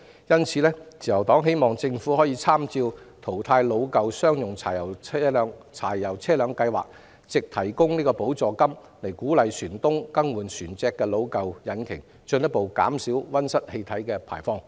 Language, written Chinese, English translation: Cantonese, 因此，自由黨希望政府參考淘汰老舊商用柴油車輛的計劃，藉提供補助金鼓勵船東更換船隻的老舊引擎，以進一步減少溫室氣體排放。, Therefore the Liberal Party hopes that taking reference from the scheme for retirement of aged diesel commercial vehicles the Government provides subsidy to encourage ship owners to replace the aged engines of their vessels in order to further reduce greenhouse gas emissions